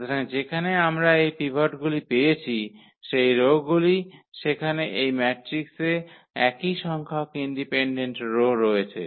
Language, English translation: Bengali, So, those rows where we got these pivots there are there are the same number of rows which are independent in this matrix